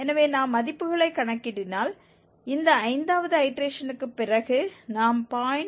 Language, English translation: Tamil, So, if we compute the values, after this fifth iteration we are getting 0